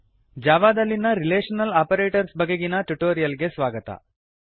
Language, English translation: Kannada, Welcome to the spoken tutorial on Relational Operators in Java